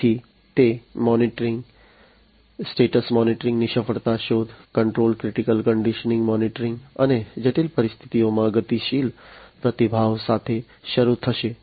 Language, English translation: Gujarati, So, it will start with the monitoring status monitoring, failure detection, control critical condition monitoring, and the dynamic response to critical conditions